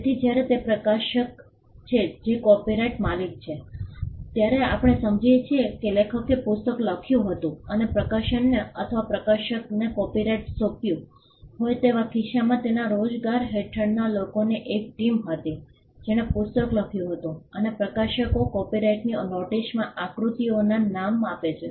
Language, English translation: Gujarati, So, when it is the publisher who is the copyright owner then we understand that as a case of the author having written the book and having assigned the copyright to the publisher or the publisher had a team of people under his employment who wrote the book and the publishers name figures in the copyright notice